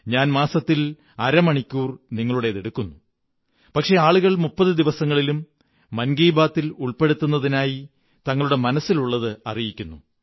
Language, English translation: Malayalam, I just take half an hour of your time in a month but people keep sending suggestions, ideas and other material over Mann Ki Baat during all 30 days of the month